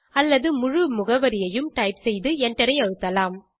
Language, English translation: Tamil, or continue to type the complete address and press Enter